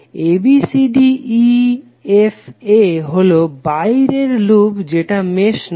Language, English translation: Bengali, Abcdefa so outer loop is not a mesh